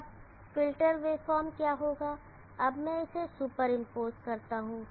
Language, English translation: Hindi, Now what would be the filtered wave form like, so let me superimpose this